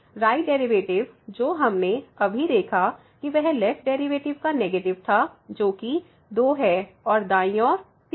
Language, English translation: Hindi, So, the right side derivative which we have just seen was minus the left side derivative so was 2 and the right side was 3